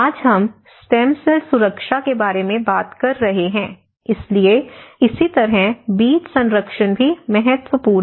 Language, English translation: Hindi, Today, we are talking about stem cells protection, so similarly the seed protection is also an important